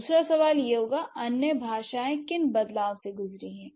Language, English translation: Hindi, What are the other changes languages have gone through